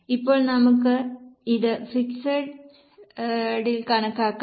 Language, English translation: Malayalam, Now let us see for fixed cost